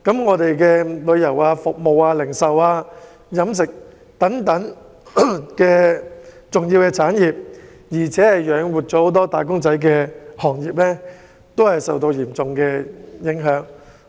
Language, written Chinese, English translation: Cantonese, 我們的旅遊業、服務業、零售業、飲食業等養活不少"打工仔"的重要行業均受到嚴重影響。, Our tourism service retail and catering industries which are crucial industries that support the living of many wage earners have all been seriously affected